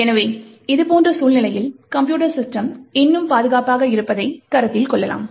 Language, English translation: Tamil, Therefore, in such a scenario also we can consider that the computer system is still secure